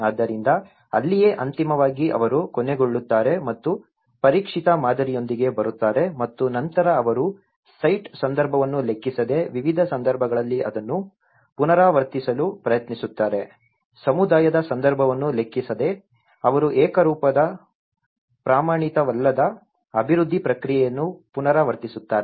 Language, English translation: Kannada, So, that is where, so finally, they end up and coming up with a tested model and then they try to replicate it in different contexts irrespective of the site context, irrespective of the community context they end up replicating a uniform unstandardized development process